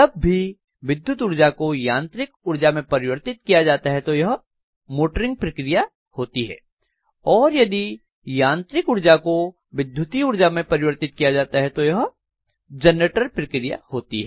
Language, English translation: Hindi, So when this is being done if electrical energy is converted into mechanical energy it is going to be motoring operation on one side whereas if I am going to do from mechanical energy to electrical energy this is known as generator operation